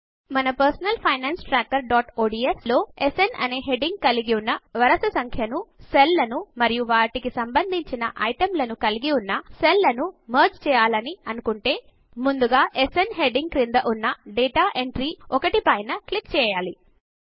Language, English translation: Telugu, In our personal finance tracker.ods file , if we want to merge cells containing the Serial Number with the heading SN and their corresponding items, then first click on the data entry 1 under the heading SN